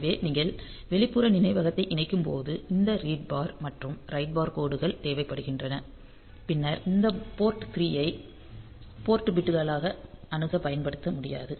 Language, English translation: Tamil, So, when if you are connecting external memory then this read bar write bar lines are required and then you cannot use this port 3 as the port for accessing as port bits ok